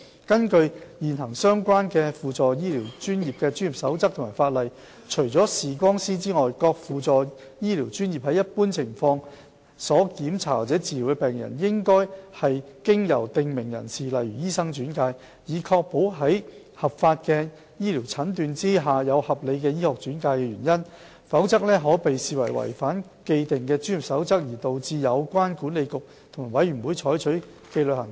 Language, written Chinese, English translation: Cantonese, 根據現行相關的輔助醫療專業的專業守則或法例，除視光師外，各輔助醫療專業在一般情況下所檢查或治療的病人，只應是經由訂明人士例如醫生轉介，以確保在合法醫療診斷下有合理醫學轉介原因，否則可被視為違反既定的專業守則而導致有關管理局及委員會採取紀律行動。, According to the current codes of practice or legislation applicable to the relevant supplementary health care professions under normal circumstances patients should be referred to the supplementary health care professions for examination or treatment by prescribed persons such as doctors so as to ensure the presence of valid causes for referral based on diagnosis made through legal medical services . Otherwise the practitioners concerned will be deemed to be in breach of the established codes of practice and subject to disciplinary actions taken by the Council and the boards concerned